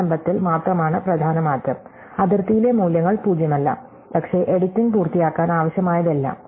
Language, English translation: Malayalam, The only major change done is in the initialization, the values at the boundary are not zero, but whatever is required to complete the editing